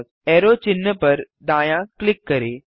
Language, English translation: Hindi, Right click on the arrow sign